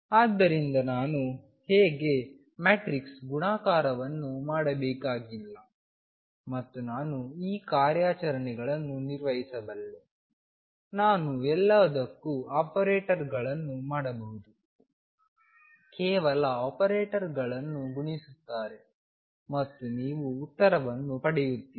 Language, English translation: Kannada, So, you see how things become very easy I do not really have to do matrix multiplication all the time and I can perform these operations, I can make operators for anything, they just multiply the operators and you get the answer